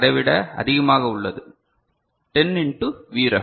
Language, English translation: Tamil, So, it is more than that, more than 10 into Vref ok